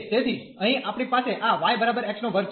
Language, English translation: Gujarati, So, here we have this y is equal to x square